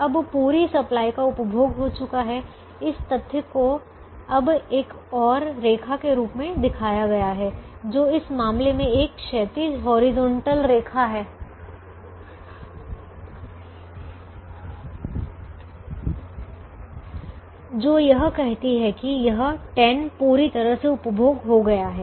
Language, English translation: Hindi, now, the fact that this has been consumed is now shown by another line, which in this case is a horizontal line, which says that this ten has been completely consumed